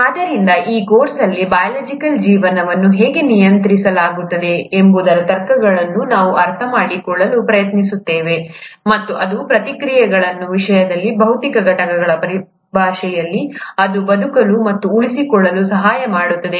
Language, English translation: Kannada, Hence, in this course, we’ll try to understand the logics of how a biological life is governed, and what is it in terms of reactions, in terms of physical entities, which help a life to survive and sustain